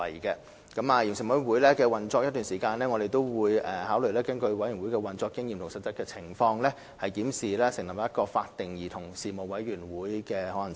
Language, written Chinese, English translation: Cantonese, 在委員會運作一段時間後，我們會考慮根據委員會的運作經驗及實際情況，檢視成立一個法定的委員會的可行性。, After the Commission has operated for some time we will consider the idea of reviewing the feasibility of setting up a statutory commission based on the Commissions operational experience and actual circumstances